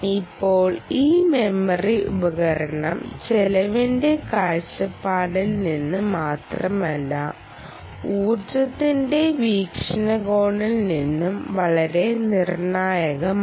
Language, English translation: Malayalam, now, this memory devices is ah, very, very critical, not just from cost perspective, but also from the perspective of um the ah energy